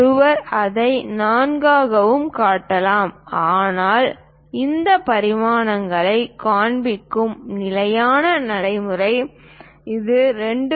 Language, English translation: Tamil, One can also show this one as 4, but the standard practice of showing these dimensions because this 2